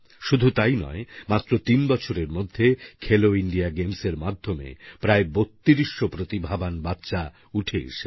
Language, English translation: Bengali, Not only this, in just three years, through 'Khelo India Games', thirtytwo hundred gifted children have emerged on the sporting horizon